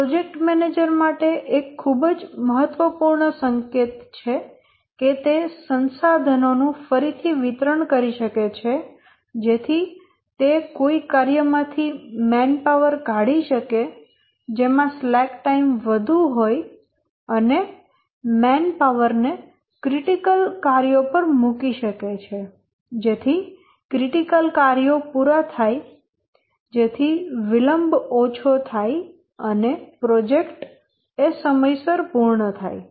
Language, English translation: Gujarati, And this is a very important hint to the project manager that he can redistribute the resources so that he may take out a manpower from a task which has lot of slack associated with it and put the manpower on a critical task so that the critical tasks get completed and the one which is having slack even if it gets delayed little bit because it is withdrawn the manpower here and redeployed on the critical activity